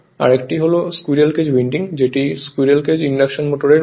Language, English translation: Bengali, Another is the squirrel cage winding that is squirrel case induction motor right